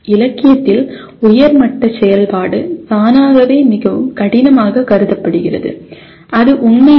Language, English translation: Tamil, Somehow in the literature higher level activity is considered automatically more difficult which is not true